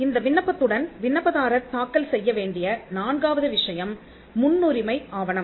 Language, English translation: Tamil, The fourth thing the applicant has to file along with this application is the priority document